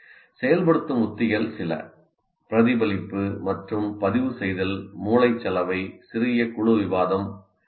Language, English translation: Tamil, Now some of the activating strategies, reflection and recording, brainstorming, small group discussion